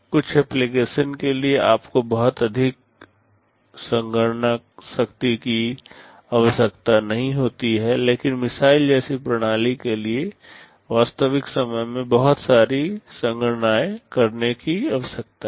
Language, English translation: Hindi, For some applications you do not need too much computation power, but for a system like missile lot of computations need to take place in real time